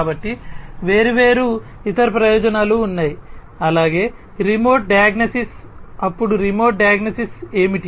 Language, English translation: Telugu, So, there are different other benefits as well remote diagnosis then remote diagnosis of what